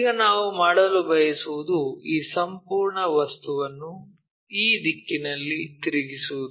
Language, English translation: Kannada, Now, what we want to do is rotate this entire object in this direction